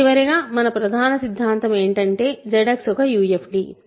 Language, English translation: Telugu, So, finally, our main theorem Z X is a UFD